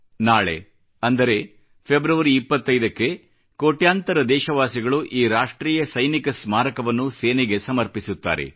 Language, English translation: Kannada, Tomorrow, that is on the 25th of February, crores of we Indians will dedicate this National Soldiers' Memorial to our Armed Forces